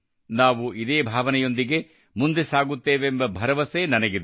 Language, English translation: Kannada, I am sure we will move forward with the same spirit